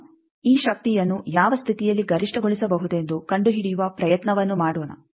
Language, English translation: Kannada, Now, let us do the try to find out under what condition this power can be maximized